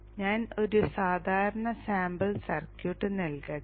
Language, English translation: Malayalam, So let me just give one typical sample circuit